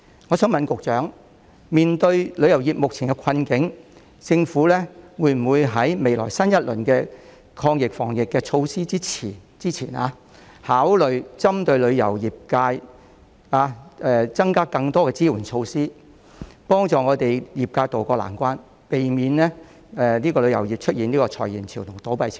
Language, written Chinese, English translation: Cantonese, 我想問局長，面對旅遊業目前的困境，政府會否在未來推出新一輪的抗疫防疫措施前，考慮針對旅遊業界，增加更多的支援措施，以協助業界渡過難關，避免旅遊業出現裁員潮和倒閉潮呢？, May I ask the Secretary In view of the dire situation that the tourism industry is facing will the Government launch more supportive measures specifically for the tourism sector with a view to helping the industry to tide over the difficult period before introducing a new round of anti - epidemic and disease prevention measures so as to prevent massive layoffs and shakeouts in the tourism industry?